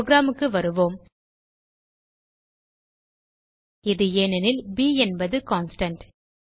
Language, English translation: Tamil, Come back to our program This is because b is a constant